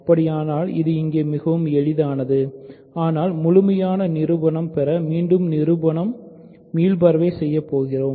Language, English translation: Tamil, Suppose so, it is very easy here, but I will just go through the proof again for completeness